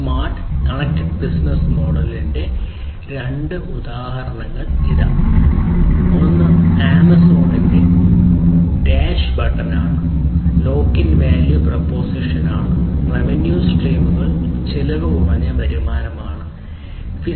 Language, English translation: Malayalam, So, here are two examples of smart and connected business model; one is the Amazon’s dash button, where the value proposition is basically the lock in value proposition, the revenue streams are low cost, basically, you know, low cost revenue streams